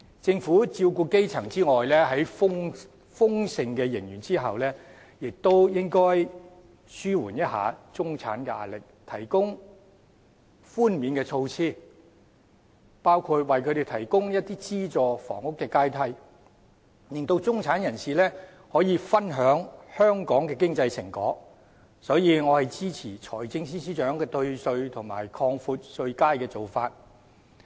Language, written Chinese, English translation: Cantonese, 政府在照顧基層之外，在豐盛的盈餘下，亦應紓緩中產的壓力，提供寬免措施，包括為他們提供資助房屋的階梯，令中產人士也可以分享香港的經濟成果，所以我支持財政司司長提出退稅及擴闊稅階的做法。, Apart from taking care of the grass roots the Government given an abundant surplus should also alleviate the pressure of the middle - class people by introducing concessionary measures such as providing them with a ladder for subsidized housing to enable the middle class to enjoy the fruits of economic prosperity in Hong Kong . Therefore I support the proposals of the Financial Secretary to offer tax concessions and widen the tax bands